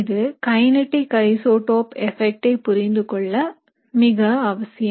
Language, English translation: Tamil, So this is very important to understand kinetic isotope effects